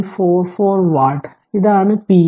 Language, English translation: Malayalam, 44 watt this is the p L max right